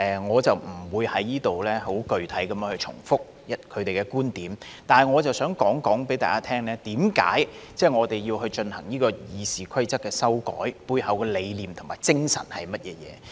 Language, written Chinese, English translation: Cantonese, 我不會在此具體重複他們的觀點。但是，我想告訴大家，為何我們要修改《議事規則》，背後的理念和精神是甚麼？, I will not repeat their specific viewpoints in my speech here but I wish to tell Members about the rationale and spirit behind the need for amending the Rules of Procedure